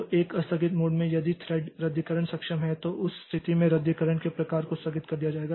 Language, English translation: Hindi, So, in a deferred mode if the thread cancellation is enabled in that case the type of cancellation will be deferred